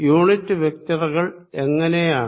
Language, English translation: Malayalam, how about the unit vectors